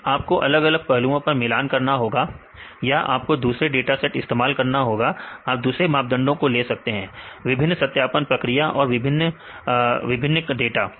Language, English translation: Hindi, Then you have to compare on different aspects or you can use different data sets; you can measure the different measures, different validation procedures and different new data